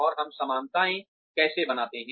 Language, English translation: Hindi, And, how do we draw parallels